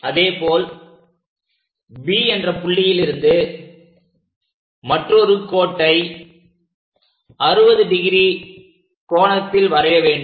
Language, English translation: Tamil, Similarly from B draw another line which joins the first line at C point, and from B this also makes 60 degrees